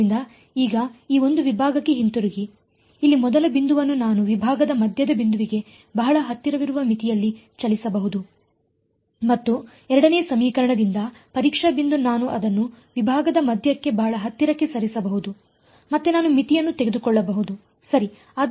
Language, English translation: Kannada, So, now, coming back to this one segment over here the first point over here I can move it in a limit very close to the midpoint of the segment and the testing point from the 2nd equation I can move it very close to the middle of the segment, again I can take a limit ok